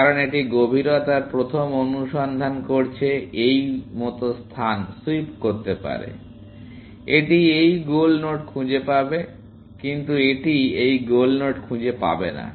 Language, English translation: Bengali, Because it is doing depth first search sweeping the space like this, it will find this goal node; but it will not find this goal node